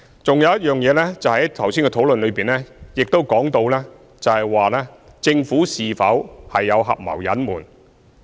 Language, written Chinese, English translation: Cantonese, 還有一件事情，就是剛才的討論亦提及政府是否有合謀隱瞞。, What is more in the discussion a moment ago the question of whether the Government was a colluding party to the cover - up was also raised